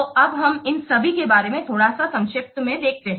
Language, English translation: Hindi, So, now let's a little bit see about all these what contents in brief